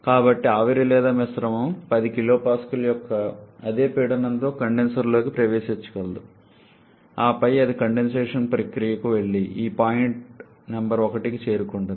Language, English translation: Telugu, So, the steam or mixture is able to enter the condenser with the same pressure of 10 kPa then it proceeds to the condensation process and reaches this point number 1